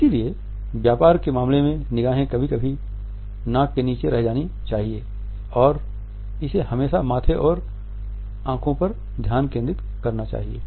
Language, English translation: Hindi, So, the business case should never go beneath the nose and it should be focused on the forehead and eyes